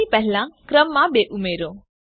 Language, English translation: Gujarati, Add a number 2 before the name